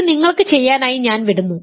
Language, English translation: Malayalam, So, these I will leave for you to do